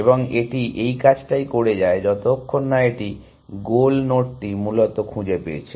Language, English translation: Bengali, And it keeps doing that, till it has found the goal node essentially